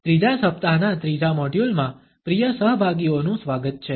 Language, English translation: Gujarati, Welcome dear participants to the 3rd module of the 3rd week